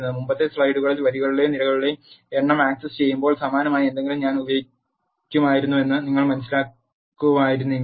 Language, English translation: Malayalam, If you would have realized I would have used something similar while accessing the number of rows or columns in the previous slides